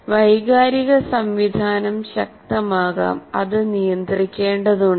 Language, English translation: Malayalam, Because emotional system can be very strong, so it has to regulate that